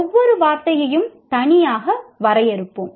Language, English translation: Tamil, We will define each term separately